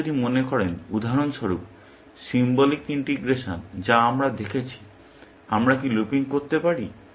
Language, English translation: Bengali, If you think of, for example, symbolic integration that we looked at; can we have looping